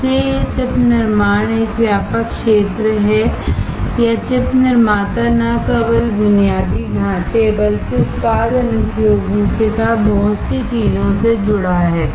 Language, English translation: Hindi, So, this chip manufacturing is a broad area or chip manufacturer is associated with lot of things not only infrastructure, but also product applications